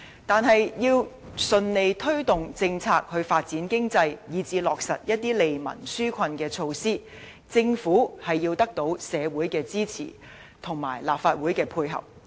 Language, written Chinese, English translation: Cantonese, 但是，要順利推動政策以發展經濟，以至落實一些利民紓困的措施，政府必須獲得社會的支持和立法會的配合。, But in order to achieve smooth policy implementation for economic development and to implement measures which can benefit people and alleviate their difficulties the Government must obtain the support of the community and the Legislative Council